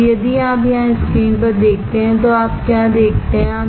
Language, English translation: Hindi, Now, if you see here on the screen what you see